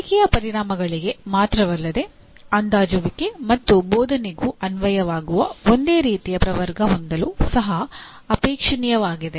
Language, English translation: Kannada, And it is also desirable to have the same taxonomy that is applicable to not only learning outcomes, but also assessment and teaching